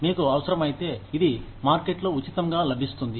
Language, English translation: Telugu, It is freely available in the market, if you need it